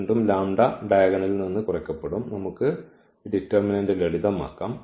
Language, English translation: Malayalam, So, again this lambda is subtracted from the diagonal and we can simplify this determinant